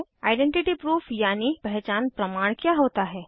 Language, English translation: Hindi, What is an identity proof#160